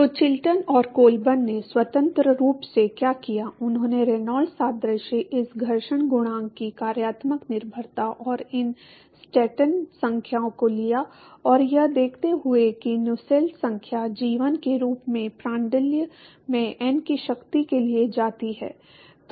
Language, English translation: Hindi, So, what Chilton and Colburn independently did is they took the Reynolds analogy, the functional dependence of this friction coefficient and these Stanton numbers and observing that the, observing that Nusselt number goes as g1 something into Prandtl to the power of n